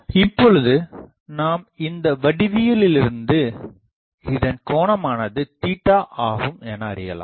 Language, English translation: Tamil, Now, you can see from the geometry that this angle is theta